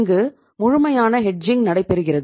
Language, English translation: Tamil, So there is a complete hedging